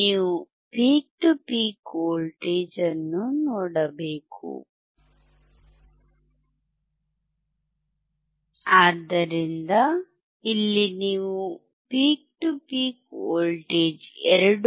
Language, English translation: Kannada, You have to see the peak to peak voltage, look at the peak to peak voltage